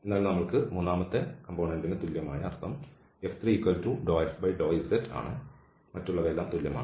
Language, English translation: Malayalam, So, we have the third component equal means f 3 equal to del f over, del z the all others are also equal